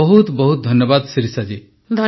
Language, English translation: Odia, Many many thanks Shirisha ji